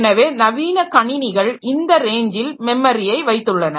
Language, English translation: Tamil, So, those modern systems, so they are having memory in that range